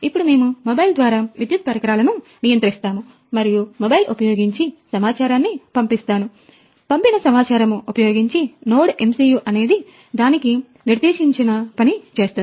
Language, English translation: Telugu, So, through mobile we will control our electrical appliances, from mobile we will send the data, based on that data, NodeMCU will take the action